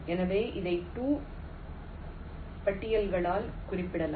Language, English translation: Tamil, so this can be represented by two lists, top and bottom